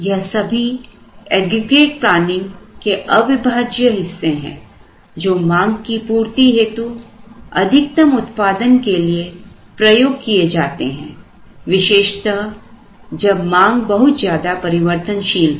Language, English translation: Hindi, All these are integral part of aggregate planning to try and get as much capacity as possible to meet the demand, particularly if the demands are fluctuated